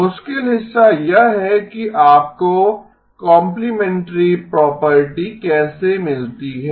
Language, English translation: Hindi, The tricky part was how do you get the complementary property